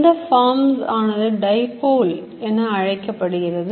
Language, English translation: Tamil, This forms what you all know is call a dipole